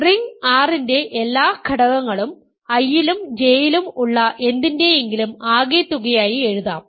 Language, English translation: Malayalam, So, that is the point, every element of the ring R can be written as something in I plus something in J